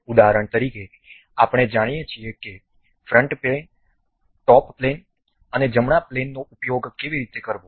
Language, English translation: Gujarati, For example, we know how to use front plane, top plane and right plane